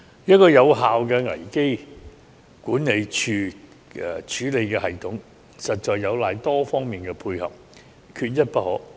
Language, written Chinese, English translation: Cantonese, 一個有效的危機管理處理的系統，實在有賴多方面的配合，缺一不可。, The effectiveness of a crisis management and handling mechanism relies on the cooperation among various parties and every party is indispensable